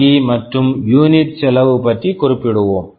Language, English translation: Tamil, And once you have this NRE cost covered, you talk about unit cost